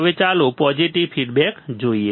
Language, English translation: Gujarati, Now let us see positive feedback